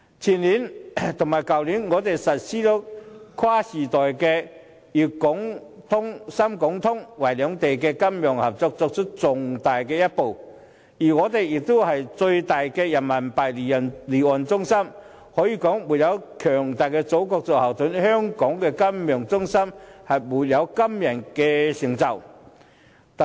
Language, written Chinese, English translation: Cantonese, 前年和去年，我們實施跨時代的滬港通和深港通，為兩地金融合作邁出重大一步，而且香港也是最大的人民幣離岸中心，可以說沒有強大的祖國作後盾，香港金融中心就沒有今天的成就。, We implemented the Shanghai - Hong Kong Stock Connect and the Shenzhen - Hong Kong Stock Connect last year and the year before last . The developments are of epoch - making significance enabling Hong Kong to make a big stride forward the financial cooperation of China and Hong Kong . Hong Kong is also the biggest offshore Renminbi centre